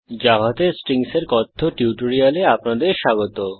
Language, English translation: Bengali, Welcome to the spoken tutorial on Strings in Java